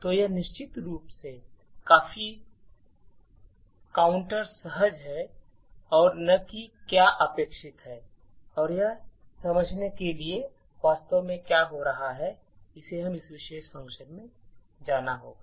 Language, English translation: Hindi, So, this is of course quite counter intuitive and not what is expected and in order to understand what actually is happening we would have to go into this particular function